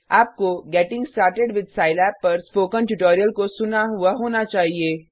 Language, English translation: Hindi, You should have listened to the Spoken Tutorial on Getting started with Scilab